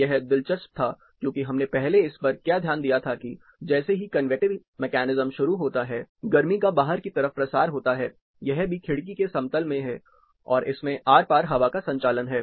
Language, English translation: Hindi, This was interesting because, what we noted as the convective mechanism sets up, the heat is dissipated, this is also lying in the window plane, and it is cross ventilated